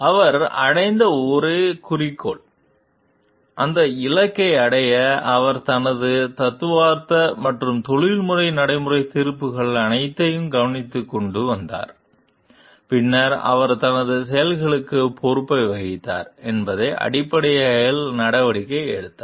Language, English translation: Tamil, A goal that he achieved, and to achieve that goal he brought all his theoretical and professional practical judgments into consideration and then, he took an action based on that he owned a responsibility for his actions too